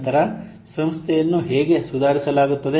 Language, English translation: Kannada, Then how an organization will be improved